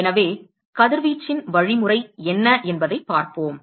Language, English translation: Tamil, So, let us look at what is the mechanism of radiation